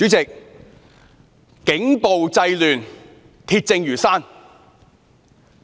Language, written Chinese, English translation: Cantonese, 主席，警暴製亂，鐵證如山。, President police violence has created disorder this fact is beyond dispute